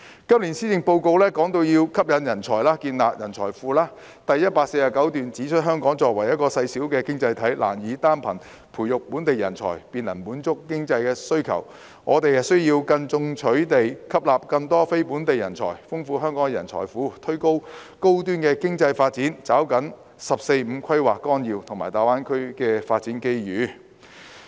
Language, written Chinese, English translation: Cantonese, 今年施政報告提出要吸引人才，建立人才庫，第149段指出："香港作為一個細小經濟體，難以單憑培育本地人才便能滿足經濟發展需求，我們需要更進取地吸納更多非本地人才，豐富香港的人才庫，推動高端經濟發展和抓緊《十四五規劃綱要》和大灣區的發展機遇。, This years Policy Address has stressed the need to attract talents and build up a talent pool . Paragraph 149 reads As a small economy Hong Kong cannot meet the needs of economic development simply by nurturing local talents . We need to attract non - local talents more proactively to enrich our talent pool promote high - end economic development and seize the development opportunities as provided under the 14th Five - Year Plan and in the Greater Bay Area